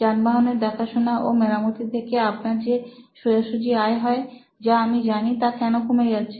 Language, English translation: Bengali, Why is your direct revenue from automobile servicing which I knew he was doing is so low